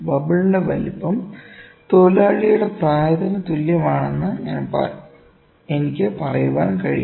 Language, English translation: Malayalam, I can put size of bubble is equal to age of the worker